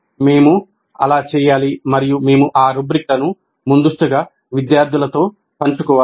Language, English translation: Telugu, We need to do that and we must share those rubrics upfront with students